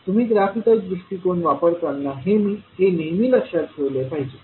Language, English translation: Marathi, So this you have to always keep in mind when you are using the graphical approach